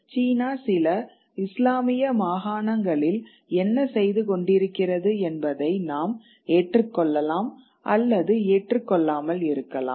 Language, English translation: Tamil, We may or may not agree with what China is doing in some of its Islamic provinces